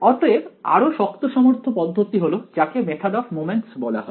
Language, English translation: Bengali, So, the more robust method is what is called the method of moments